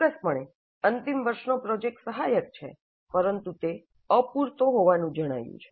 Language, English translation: Gujarati, Certainly final project is helpful, but it is found to be inadequate